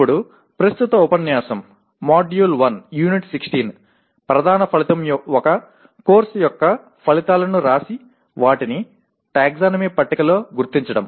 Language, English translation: Telugu, Now the present unit, M1U16, the main outcome is write outcomes of a course and locate them in the taxonomy table